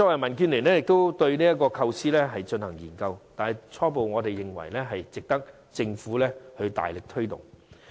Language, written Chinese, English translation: Cantonese, 民建聯亦曾就這項措施進行研究，我們初步認為這值得政府大力推動。, DAB has studied this measure before and we initially consider it worthy of vigorous promotion by the Government